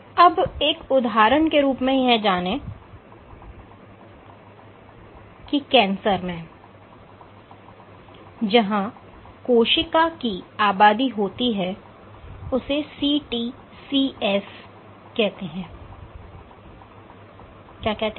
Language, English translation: Hindi, So, as an example we know in that in cancer, so, there is a population of cells call CTCs